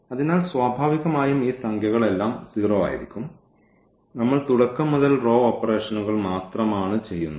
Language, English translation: Malayalam, So, naturally these numbers will be 0 everything is 0 and we are doing only the row operations from the beginning